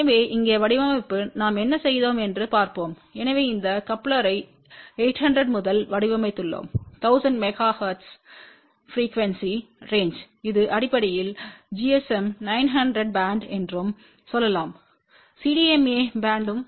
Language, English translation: Tamil, So, here the design let us see what we have done, so we have design this coupler for 800 to 100 megahertz frequency range this basically covers the you can say gsm 900 band as well as cdma band also